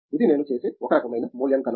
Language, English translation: Telugu, That’s the one kind of evaluation I do